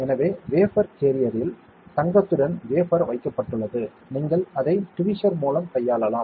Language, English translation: Tamil, So, we have the wafer deposited with gold in the wafer carrier, you can handle it with the tweezer